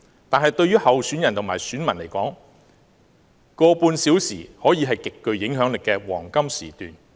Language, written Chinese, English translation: Cantonese, 但是，對於候選人和選民而言 ，1.5 小時可以是極具影響力的黃金時段。, But from the perspectives of the candidates and the voters 1.5 hours can be a very critical period of time